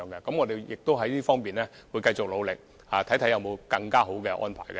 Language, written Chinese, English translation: Cantonese, 我們會繼續努力，看看有沒有更好的安排。, We will continue to put in efforts and look for better arrangements